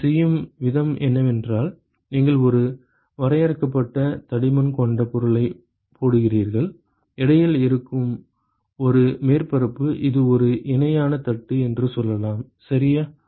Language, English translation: Tamil, And the way it is done is you put a finite thickness material, a surface which is in between, let say it is a parallel plate, ok